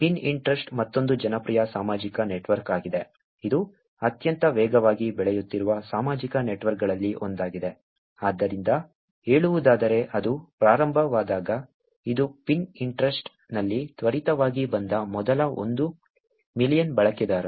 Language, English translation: Kannada, Pinterest is another popular social network, which is one of the most fastest growing social networks, so to say, when it started, which is the first one million users came in quickly in Pinterest